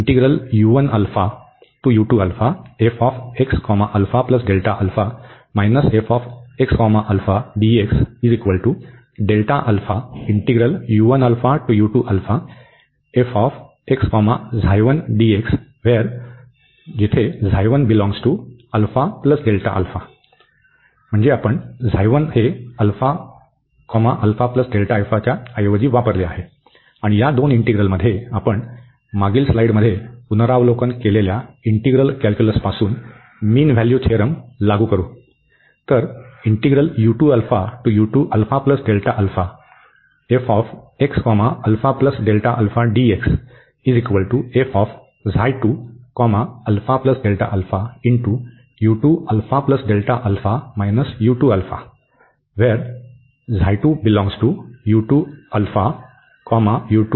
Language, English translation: Marathi, And in these two integrals, we will apply the mean value theorem from integral calculus, which was reviewed in the previous slide